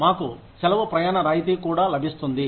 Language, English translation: Telugu, We also get a leave travel concession